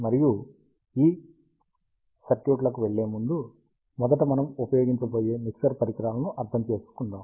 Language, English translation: Telugu, And before going to these circuits, let us first understand the mixture devices that we use